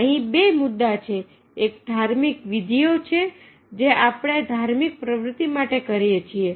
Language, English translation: Gujarati, one is rituals that we perform for the religious activities